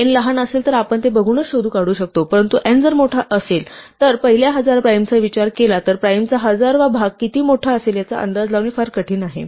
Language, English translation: Marathi, If n is small, we might be able to figure out just by looking at it, but if n is large, if we ask the first thousand primes it is very difficult to estimate how big the thousandth of prime will be